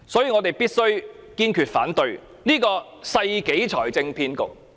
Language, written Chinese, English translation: Cantonese, 我們必須堅決反對這個世紀財政騙局。, We must be resolute in opposing this financial swindle of the century